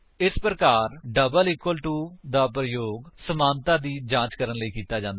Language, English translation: Punjabi, This way, double equal to is used for checking equality